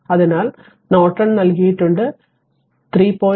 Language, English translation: Malayalam, So, Norton is given I told you 3